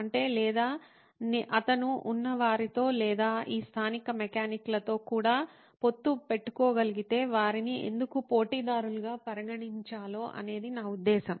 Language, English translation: Telugu, That is, or if he could tie up with somebody who has, or with even these local mechanics, I mean why treat them as competitors